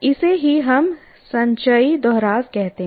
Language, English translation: Hindi, That is what we call cumulative repetition